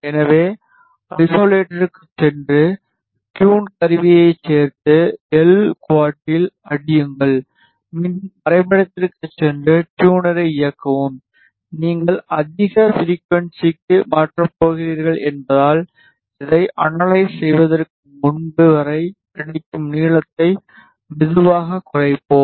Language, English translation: Tamil, So, go to isolator, added tune tool, hit on L quad, go to the graph again, enable the tuner and since you going to shift to a higher frequency; we will reduce the length slowly till we get now before that let us analyze this